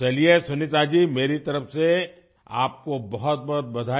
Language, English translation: Hindi, Well Sunita ji, many congratulations to you from my side